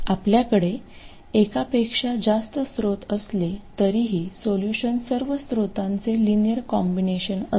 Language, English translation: Marathi, Even when you have multiple sources, the solution will be linear combination of all the sources